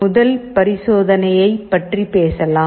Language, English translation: Tamil, Let us talk about the first experiment